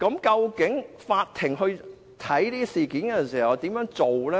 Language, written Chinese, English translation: Cantonese, 究竟法庭審理這些案件時，該怎麼處理？, And what should the Court do when dealing with such cases?